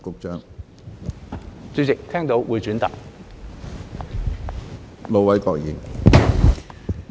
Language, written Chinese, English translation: Cantonese, 主席，聽到，會轉達。, President I will relay what I have heard